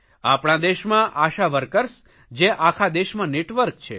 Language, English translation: Gujarati, In our country there is a network of ASHA workers